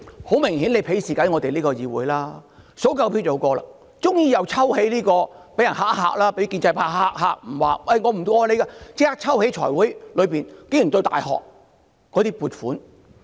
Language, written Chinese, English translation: Cantonese, 很明顯，現在便是鄙視議會，數夠票便可以通過，只要被建制派嚇唬一下說不支持通過時，便立即在財務委員會抽起有關大學的撥款。, It is evident that the Government despises this Council as it knows that it can pass anything once it managed to secure enough votes and no sooner had the pro - establishment camp threatened to withhold their support than the Government withdrew the proposals on the provision of funding to universities in the Finance Committee